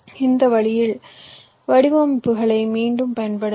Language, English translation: Tamil, ok, i can reuse the designs in this way